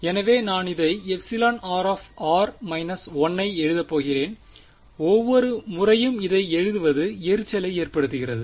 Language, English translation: Tamil, So, I am going to write this epsilon r r minus 1 by the way this it gets irritating to write this epsilon r minus 1 every time